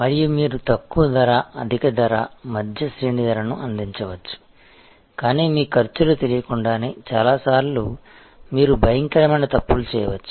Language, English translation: Telugu, And you can provide low price, high price, mid range price, but without knowing your costs, many times you can make horrible mistakes